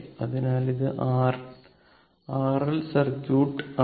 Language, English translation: Malayalam, So, this is your R L circuit